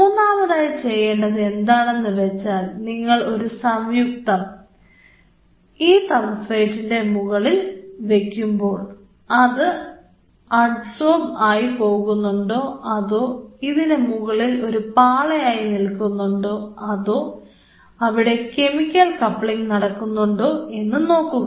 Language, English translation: Malayalam, The third thing what you have to do is now when you are putting any compound on the substrate whether it is getting absorbed, or whether it is forming a thin film, or it is forming some kind of chemical coupling